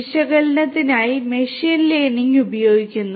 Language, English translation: Malayalam, Machine learning being used for analytics